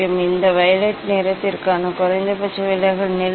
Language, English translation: Tamil, Now, this is the minimum deviation position for the violet colour